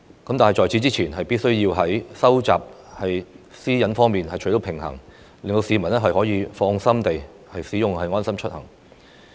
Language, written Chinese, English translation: Cantonese, 不過，政府此前必須在保障私隱方面取得平衡，讓市民可以放心地使用"安心出行"流動應用程式。, Nonetheless we need to strike a balance in this respect out of concern for privacy protection so that the public can use the LeaveHomeSafe mobile app with ease and confidence